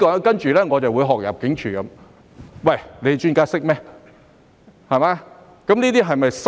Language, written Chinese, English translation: Cantonese, 在此，讓我學入境處那樣說：專家懂經濟嗎？, Here let me imitate the Immigration Department and say Do the experts know anything about economy?